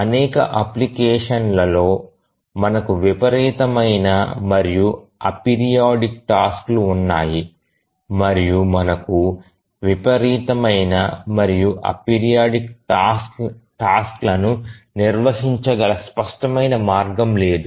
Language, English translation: Telugu, Also, in many applications we have sporadic and ap periodic tasks and there is no clear way in which we can handle the sporadic and apiridic tasks